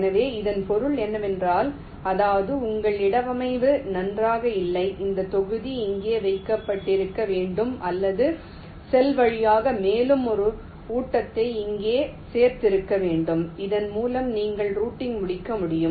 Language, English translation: Tamil, so what it means is that means either your placement is not good this block should have been placed here or means one more feed through cell should have been included here so that you can completes routing